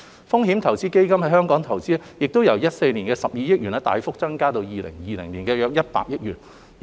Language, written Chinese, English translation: Cantonese, 風險投資基金在本港的投資亦由2014年的12億元大幅增加至2020年的約100億元。, Investment from venture capital funds in Hong Kong also increased drastically from 1.2 billion in 2014 to about 10 billion in 2020